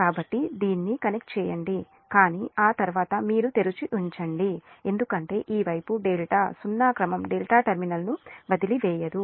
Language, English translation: Telugu, but after that this you leave open because this side delta, that zero sequence cannot leave the delta terminal